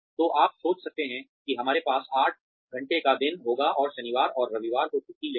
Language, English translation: Hindi, So, you can keep thinking that, we will have an eight hour day, and take Saturday and Sunday off